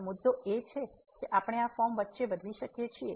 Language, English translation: Gujarati, So, the point is that we can change between these form